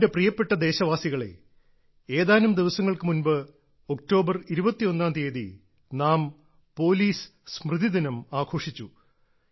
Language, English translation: Malayalam, just a few days ago, on the 21st of October, we celebrated Police Commemoration Day